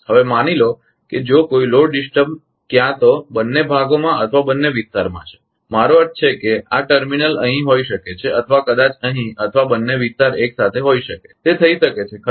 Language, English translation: Gujarati, Now, suppose if there is a load disturbance either of the areas are in both the area I mean this terminal may be here or maybe here or both the area simultaneous it can happen right